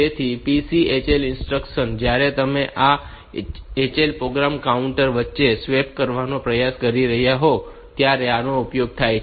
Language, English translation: Gujarati, So, this PCHL instruction, this is useful when you are trying to swap between this HL and program counter